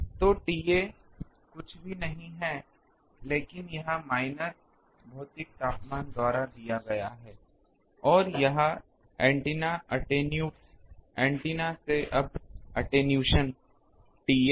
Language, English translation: Hindi, So, T A is nothing but this is the minus given by the, this physical temperature and this is from the antenna attenuates, antennas now attenuation T A